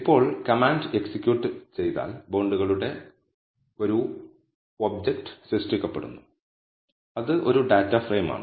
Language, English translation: Malayalam, Now, once the command is executed, an object of bonds is created, which is a data frame